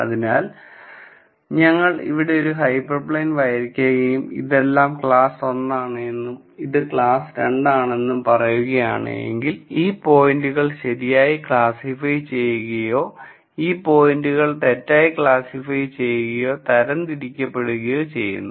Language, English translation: Malayalam, So, if we were to draw a hyper plane here and then say this is all class 1 and this is class 2 then these points are classified correctly, these points are classified correctly and these points are poorly classified or misclassified